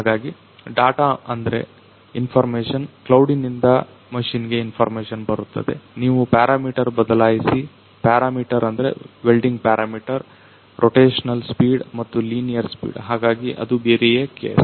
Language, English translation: Kannada, So, data is that information is information comes from the cloud to the machine, you change the parameter; parameter means the welding parameter, the rotational speed and also the linear speed so that the different case …